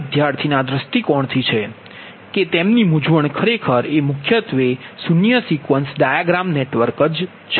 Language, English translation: Gujarati, this is from the aspect of student point of view that their their confusion, actually mainly your zero sequence dia[gram] network